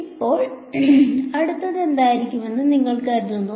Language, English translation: Malayalam, Now, what you think would be next